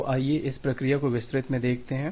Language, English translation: Hindi, So, let us look into this process in details